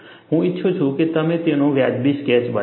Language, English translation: Gujarati, I would like you to make a reasonable sketch of it